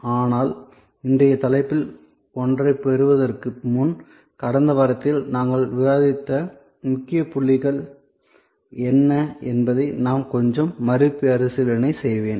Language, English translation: Tamil, But, before I get one to today’s topic, I will do a little recap of what are the main points that we discussed during the last week